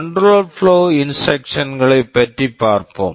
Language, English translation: Tamil, Let us look at the control flow instructions